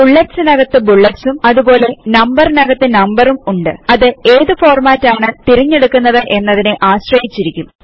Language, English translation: Malayalam, There can be bullets within bullets as well as numbers within numbers depending upon the type of format you choose